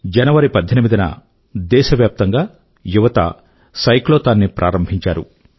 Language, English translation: Telugu, On January 18, our young friends organized a Cyclothon throughout the country